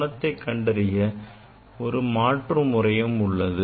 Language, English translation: Tamil, There is another alternative method for measuring this angle